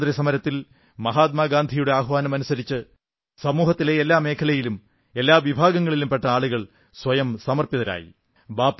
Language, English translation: Malayalam, During the Freedom Struggle people from all sections and all regions dedicated themselves at Mahatma Gandhi's call